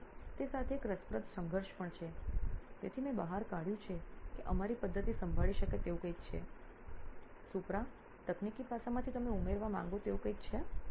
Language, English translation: Gujarati, So with that that is an interesting conflict also, so I have pulled that as a something that our method can handle, is there anything you would like to add in from the technical aspect, Supra